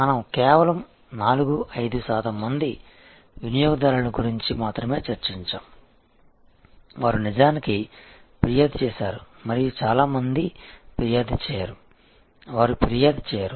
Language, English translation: Telugu, We discussed that only about 4, 5 percent customers, they actually complain and a vast majority do not complain at all, they do not complain